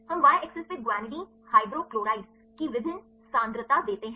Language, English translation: Hindi, We give the different concentration of the guanidinehydrochloride on the y axis